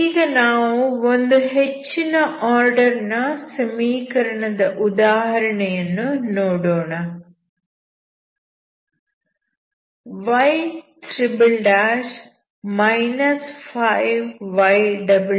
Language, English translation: Kannada, So let us give an example of some higher order equations y' ' '−5 y' '+6 y'=0, x ∈ R